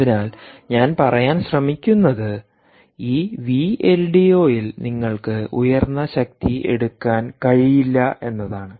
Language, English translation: Malayalam, so the point i am trying to drive at is that this v l d o you cant draw ah high power